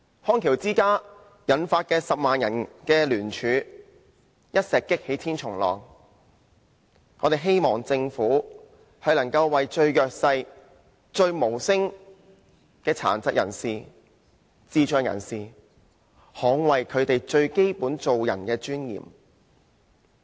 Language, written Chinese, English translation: Cantonese, 康橋之家引發10萬人聯署，一石擊起千重浪，我們希望政府能為最弱勢、無聲的殘疾人士、智障人士，捍衞他們最基本做人的尊嚴。, The case of the Bridge of Rehabilitation Company has prompted 100 000 people to submit a joint petition . The incident has induced a significant rippling effect . We hope the Government will stand up for persons with disabilities and intellectual disabilities who are disadvantaged and who cannot speak for themselves to defend their primary dignity